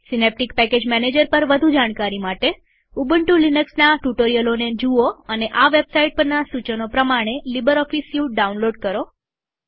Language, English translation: Gujarati, For more information on SynapticPackage Manager, please refer to the Ubuntu Linux Tutorials on this website And download LibreOffice Suite by following the instructions on this website